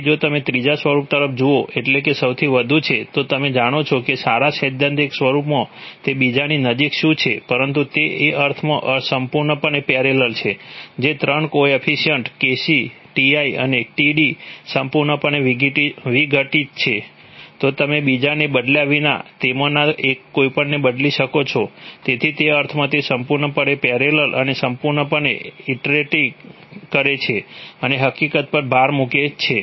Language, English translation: Gujarati, So if you look at the third form, that is the most, you know, what on good theoretical form it is close to the second but it is what is completely parallel in the sense that the 3 coefficient Kc, Ti and Td, are totally decoupled, you can change anyone of them without changing the other, so in that sense it is completely parallel and completely interacting and to stress the fact